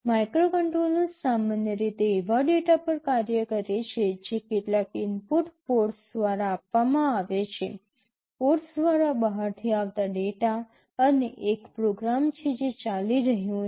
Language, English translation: Gujarati, Microcontrollers typically operate on data that are fed through some input ports; data coming from outside through the ports, and there is a program which is running